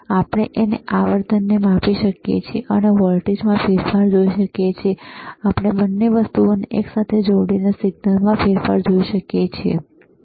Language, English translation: Gujarati, And we can measure the frequency, we can see the change in voltage, we can see the change in signal by connecting both the things together, all right